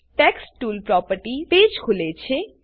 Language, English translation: Gujarati, Text tools property page opens